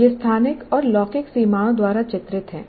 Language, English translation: Hindi, It is delineated by spatial and temporal boundaries